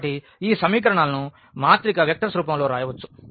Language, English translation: Telugu, So, we can write down this equation these equations in the form of the matrix vectors